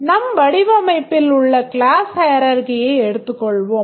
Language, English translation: Tamil, Let's assume that this is the class hierarchy that we have in our design